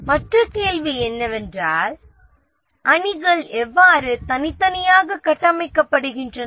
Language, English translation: Tamil, And then the second thing is the individual teams, how are they structured